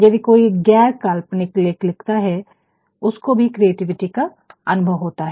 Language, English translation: Hindi, Even somebody writes a nonfiction they are also realize the creativity